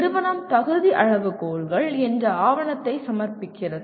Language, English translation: Tamil, The institution submits a document called eligibility criteria